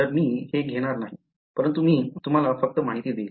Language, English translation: Marathi, So, I am not going to derive this, but I will just give you information